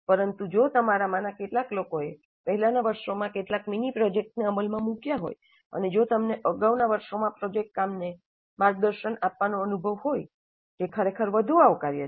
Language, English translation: Gujarati, But if some of you have already implemented some mini projects in the earlier years and if you do have an experience in mentoring project work in earlier years, that would be actually more welcome